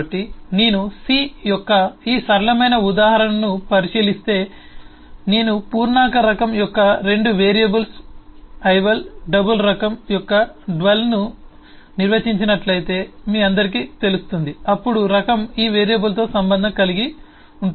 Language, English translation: Telugu, you all would eh know, if I eh define 2 variables, eh, ival of integer type, dval of the double type, then the type is associated with these variables